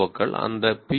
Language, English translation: Tamil, Os and these P